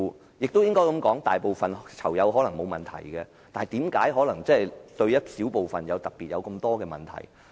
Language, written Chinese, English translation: Cantonese, 我亦要這樣說，大部分囚友可能也覺得沒有問題，但為何有一小部分人特別有問題？, I have to point out that even the majority of inmates would feel fine but why a small group of people complain about the problems?